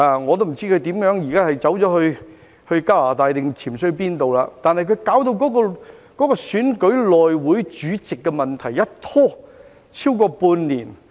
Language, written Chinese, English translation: Cantonese, 我不知他現在去了加拿大還是潛逃到哪裏，但他把選舉內會主席的問題一拖超過半年。, I do not know if he is now in Canada or where he has fled to but he had delayed the election of the chairman of the House Committee for more than half a year